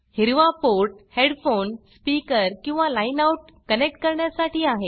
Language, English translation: Marathi, The port in green is for connecting headphone/speaker or line out